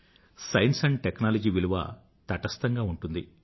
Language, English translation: Telugu, Science and Technology are value neutral